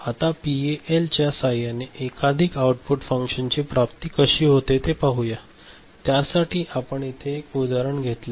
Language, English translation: Marathi, Now, let us look at realization of multiple output function using PAL, we take one example here right